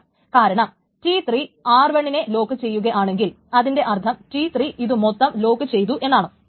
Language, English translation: Malayalam, T3 wants to lock R1 that is also not allowed because if T3 locks R1 then it means that T3 will be locking this entire thing